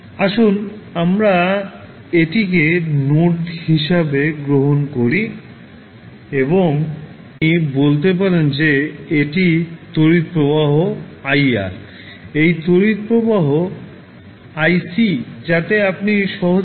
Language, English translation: Bengali, Let us take this particular as a node a and you say that this is the current ir this current ic so your you can simply say ir plus ic is equal to 0